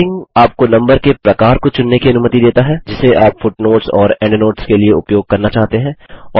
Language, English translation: Hindi, Numbering allows you to select the type of numbering that you want to use for footnotes and endnotes